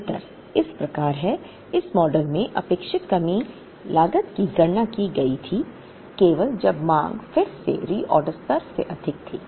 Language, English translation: Hindi, The difference is as follows; in this model the expected shortage cost was calculated, only when the demand exceeded the reorder level